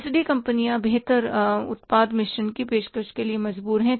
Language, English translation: Hindi, So, companies are compelled to offer the better product mix